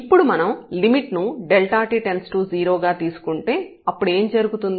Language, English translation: Telugu, And now if we take the limit as delta t goes to 0 then what will happen